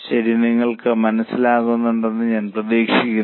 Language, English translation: Malayalam, Okay, I hope you are getting it